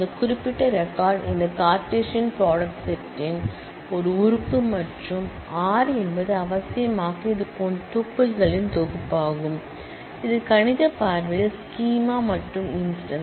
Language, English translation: Tamil, This particular record is an element of this Cartesian product set and R necessarily is a set of such tuples that is a mathematical view of the schema and the instance